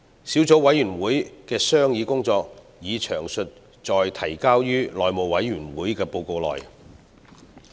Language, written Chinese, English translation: Cantonese, 小組委員會的商議工作已詳載於提交內務委員會的報告內。, Details of the deliberations of the Subcommittee are set out in its report submitted to the House Committee